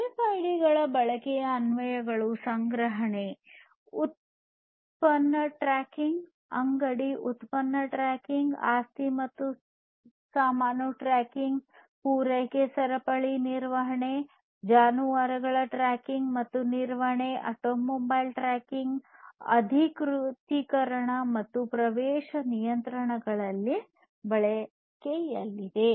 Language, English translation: Kannada, Applications of use of RFIDs are for storing product tracking, store product tracking, sorry, store product tracking, asset and baggage tracking, supply chain management, livestock tracking and management, auto mobile tracking authentication and access control, and so on